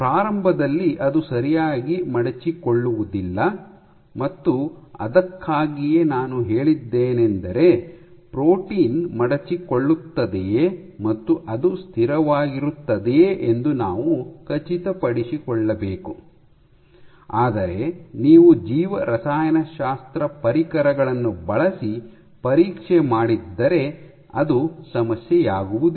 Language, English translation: Kannada, So, to begin with it does not fold properly and that is why I said that we must make sure that the protein folds and stable, but if you have done this check using biochemistry tools